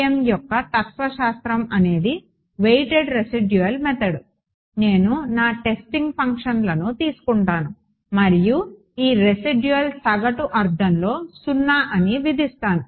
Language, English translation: Telugu, regardless the philosophy of FEM is the same a weighted residual method I take my testing functions and impose this residual to be 0 in an average sense ok